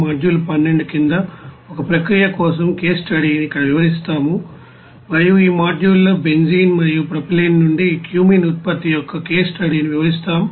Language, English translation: Telugu, So we will describe here a case study for a process under module 12 and in this module will describe a case study of Cumene production from you know benzene and propylene